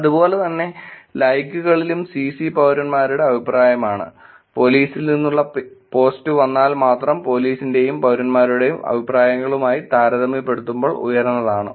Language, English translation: Malayalam, In the same way in the likes also the Cc which is comments by citizens only if the post comes from police is actually higher compared to the comments by police and citizens